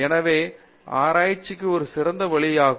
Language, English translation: Tamil, So, that would be a better way to look at research